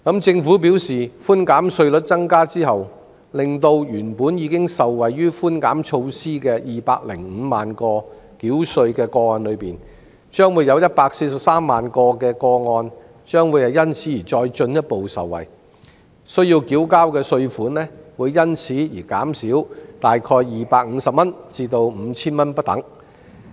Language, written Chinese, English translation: Cantonese, 政府表示，稅務寬免百分比提高後，原本已受惠於寬免措施的205萬個繳稅個案中，會有143萬個個案因而進一步受惠，需要繳交的稅款會減少約250元至 5,000 元不等。, According to the Government after the rate of tax reduction was raised among those 2.05 million cases that already enjoyed the relief measure 1.43 million will further benefit by paying about 250 to 5,000 less in tax